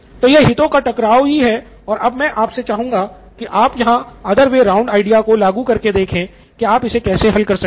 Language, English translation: Hindi, So this is the conflict of interest we had and I am asking you to apply the other way round idea to see how you can solve this